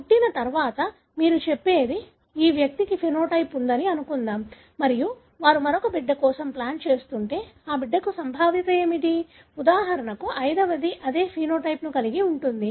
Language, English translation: Telugu, After the birth, you are talking about say, suppose this individual had the phenotype and if they are planning for one more child what is the probability that that child, the fifth one for example would have the same phenotype